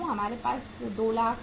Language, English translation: Hindi, So we are going to have 2 lakhs